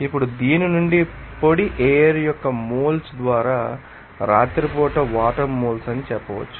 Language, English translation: Telugu, Now, from this we can say that moles of water at night by moles of dry air